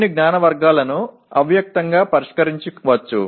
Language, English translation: Telugu, Some knowledge categories may be implicitly addressed